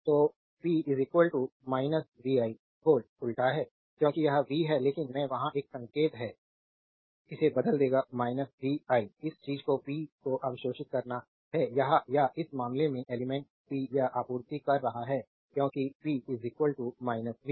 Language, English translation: Hindi, So, p is equal to minus vi v inverse as it is v, but i is there is a sign will change it will be minus vi right this thing you have to this is absorbing power and this in this case element is supplying power, because p is equal to minus v into a i right